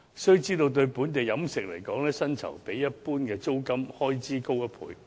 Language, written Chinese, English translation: Cantonese, 須知道，對本地飲食業來說，薪酬一般較租金開支高1倍。, We must bear in mind that in the local catering industry the wage cost generally doubles the rent expenses